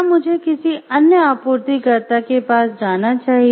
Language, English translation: Hindi, Should I go for another supplier how do I select my suppliers